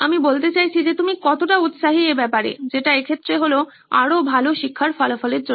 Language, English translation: Bengali, I mean the level that you are interested in, which in this case is for better learning outcomes